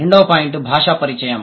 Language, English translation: Telugu, The second point is language contact